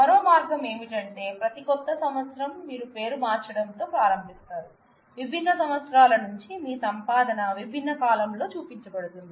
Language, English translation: Telugu, The other way could be that, you every New Year you start renaming you know you do a year where your earnings from different years are shown on different columns